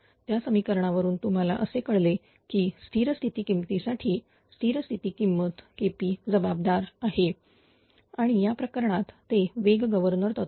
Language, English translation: Marathi, From this equation you guess that for the steady state values; steady state value K p is responsible K p and in this case those speed governing mechanism